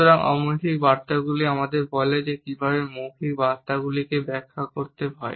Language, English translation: Bengali, So, nonverbal messages tell us how to interpret verbal messages and they may vary considerably across cultures